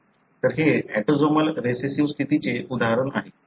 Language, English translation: Marathi, So, that is an example of autosomal recessive condition